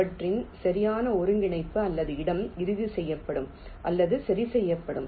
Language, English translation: Tamil, they, their exact coordinate or location will be finalized or fixed